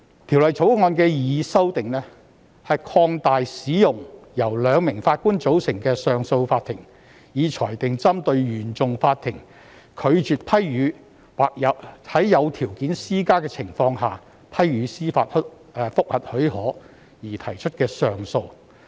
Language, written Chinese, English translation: Cantonese, 《條例草案》的擬議修訂，是擴大使用由兩名上訴法庭法官所組成的上訴法庭，以裁定針對原訟法庭拒絕批予或在施加條件的情況下批予司法覆核許可而提出的上訴。, The proposed amendments in the Bill concern the extension of the use of a two - Judge bench of CA to determine appeals from CFI in relation to its refusal to grant leave for judicial review or its grant of leave for judicial review on terms